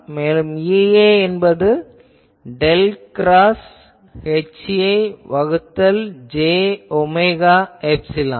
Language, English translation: Tamil, So, E A will be del cross H A by j omega epsilon ok